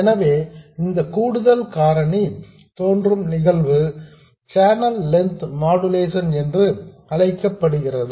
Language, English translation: Tamil, So, the phenomenon by which this additional factor appears is known as channel length modulation